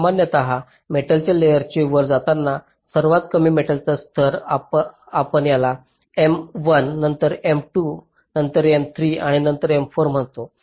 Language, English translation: Marathi, so, as the metal layers go up, the lowest metal layer, we call it m one, then m two, then m three, then m four, like that